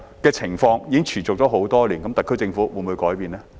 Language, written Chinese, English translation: Cantonese, 這情況已持續多年，特區政府會否改變呢？, This situation has been going on for years . Will the SAR Government change it?